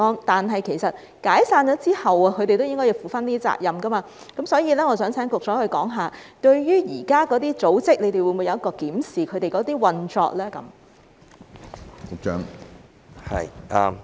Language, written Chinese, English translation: Cantonese, 但是，其實解散組織之後，他們都應該要負上責任，所以我想請局長說說，當局會否檢視現時那些組織的運作呢？, But in fact after the organizations are disbanded they should still be liable for what they have done . Thus may I ask the Secretary to tell us whether the authorities will examine the current operation of those organizations?